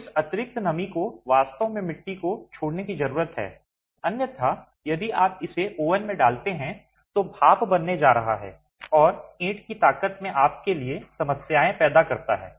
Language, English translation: Hindi, So, this excess moisture actually needs to leave the clay otherwise if you put it right into the oven, that's going to become steam and create problems for you in the strength gain of the brick itself